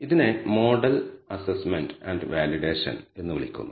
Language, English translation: Malayalam, So, this is called model assessment and validation